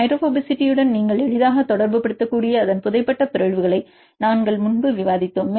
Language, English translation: Tamil, We discussed earlier its buried mutations you can easily relate with the hydrophobicity and single a property can also explain the stability